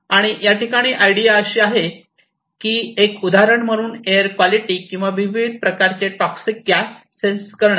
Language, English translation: Marathi, And the idea is to make say air quality monitoring that is one of the examples or you can sense various types of toxic gases as well